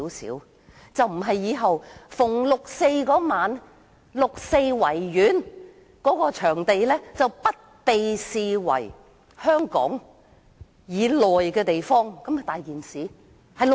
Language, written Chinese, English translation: Cantonese, 否則，以後每逢6月4日，維園便不被視為香港以內的部分，豈非出大事？, Otherwise there will be a possibility that the Victoria Park may not be regarded as a part of Hong Kong on the day of 4 June every year . Isnt it terrifying?